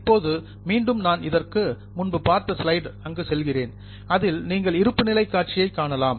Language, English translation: Tamil, Now, I am just going back to the slide so that you can have a view of the balance sheet